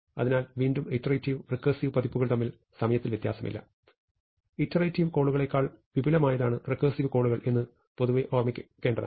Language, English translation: Malayalam, So, again there is no different between time for the recursive and iterative versions; except that one should keep in mind in general that, recursive calls are more expansive then iterative loops